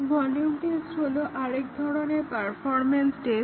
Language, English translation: Bengali, Another performance test is the volume test